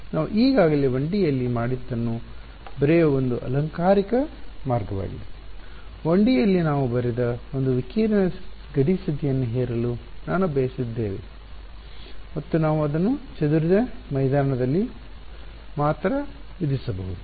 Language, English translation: Kannada, This is just a fancy way of writing what we have already done in 1D; in 1D we had a term we wanted to impose a radiation boundary condition we wrote we and we could only impose it on the scattered field